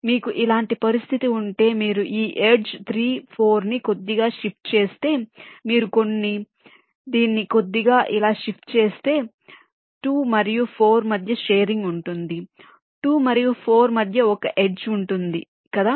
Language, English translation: Telugu, if you slightly shift this edge three, four, if you shift it slightly like this then there will be a sharing between two and four